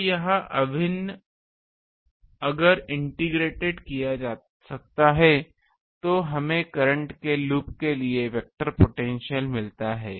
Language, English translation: Hindi, So, this integral if can be integrated, we get the vector potential for a loop of current